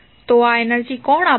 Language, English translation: Gujarati, So, who will provide this energy